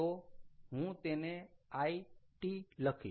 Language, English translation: Gujarati, i will write the